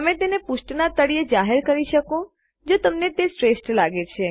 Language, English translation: Gujarati, You can declare it at the bottom of the page if you think thats best